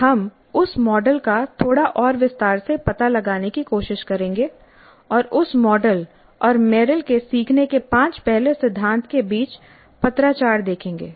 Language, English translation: Hindi, We will try to explore that model in a little bit more detail and see the correspondence between that model and Merrill's five first principles of learning